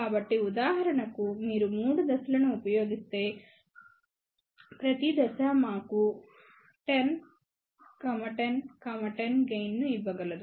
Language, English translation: Telugu, So, for example, if you use 3 stages, then each stage can give us a gain of 10, 10, 10